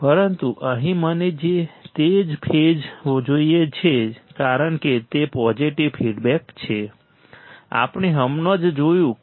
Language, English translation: Gujarati, But here I want same phase here I want same phase because it is a positive feedback , we have just seen